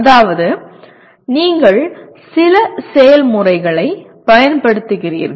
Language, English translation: Tamil, That means you are applying certain processes